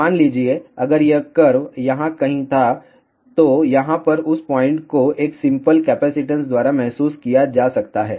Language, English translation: Hindi, Suppose if this curve was somewhere here, then that point over here can be realized by a simple capacitance